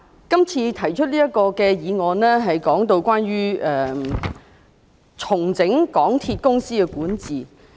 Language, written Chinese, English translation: Cantonese, 今次提出這項議案，是關於重整港鐵公司的管治。, This time around the motion is about restructuring the governance of MTRCL